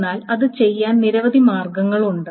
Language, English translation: Malayalam, So there are many possible ways